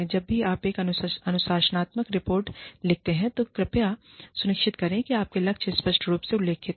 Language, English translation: Hindi, Whenever, you write up a disciplinary report, please make sure, that your goals are clearly outlined